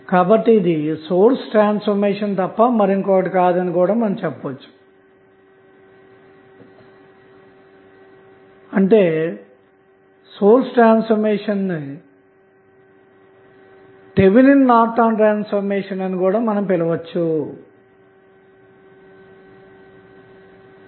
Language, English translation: Telugu, So, you can simply say this is nothing but a source transformation that is why the source transformation is also called as Thevenin Norton's transformation